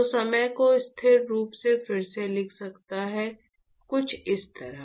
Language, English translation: Hindi, So, one could actually rewrite the time constant as, something like this